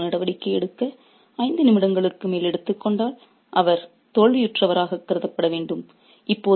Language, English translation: Tamil, If someone takes more than five minutes to make a move, he should be treated as the loser